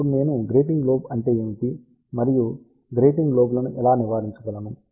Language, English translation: Telugu, Now, I am going to talk about what is grating lobe and how we can avoid these grating lobes